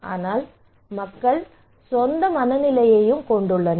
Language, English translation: Tamil, But people have their own mind also